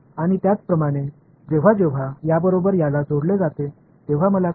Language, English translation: Marathi, And similarly, when this guy combines with this guy what do I get